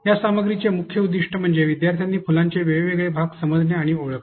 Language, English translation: Marathi, The main objective of this content is actually the students be able to understand and identify the parts of the flowers